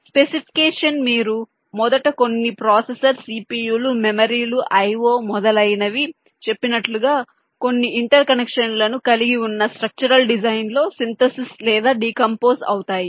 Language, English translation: Telugu, this algorithm specification you first synthesis or decompose into ah structural design which consist some some inter connection of, as i said, some processor, c, p, u is memory, is i o, etcetera